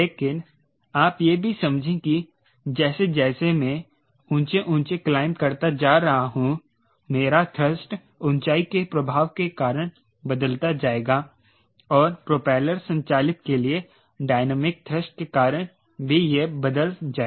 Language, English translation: Hindi, but we also understand this at this point that as i am climbing higher and higher, my thrust will go on changing because a altitude effect and because of dynamic thrust for a propeller driven, that also will change all those actions you have to incorporate